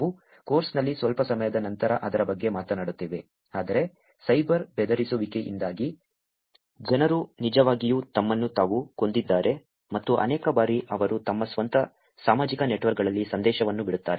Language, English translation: Kannada, We will talk about it little later in the course, but because of the cyber bullying people have actually killed themselves and many a times they actually leave a message on their own social networks